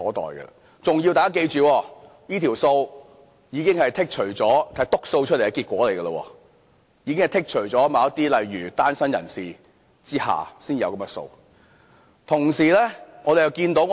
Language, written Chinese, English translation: Cantonese, 大家要記住，這組數字已經是"篤數"的結果，已經剔除了例如單身人士等的數字。, We have to remember that these figures are being manipulated with the number of applications from singletons and the like being taken out